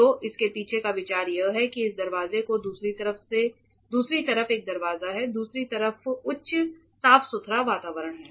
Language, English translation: Hindi, So, the idea behind is this door has a door on the other side correct, the other side is the proper cleanroom environment